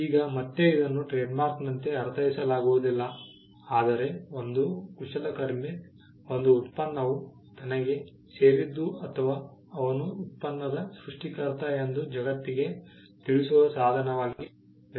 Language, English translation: Kannada, Now, again this was meant not as a trademark, but it was meant as a means for a craftsman to tell the world that a product belongs to him or he was the creator of the product